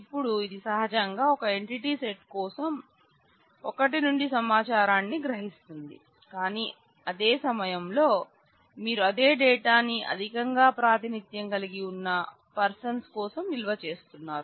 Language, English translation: Telugu, Now this naturally makes it easy to extract information from a for a single entity set, but at the same time, you are storing the same data redundantly for people who are having overlapped representation